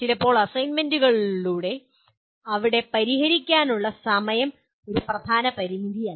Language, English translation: Malayalam, And sometimes through assignments where time for solving is not a major limitation